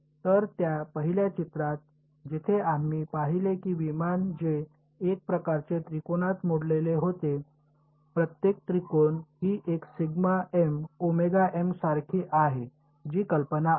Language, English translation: Marathi, So, in that first picture where we saw that aircraft which was sort of broken up into triangles, each triangle is like this one sigma m omega m that is the idea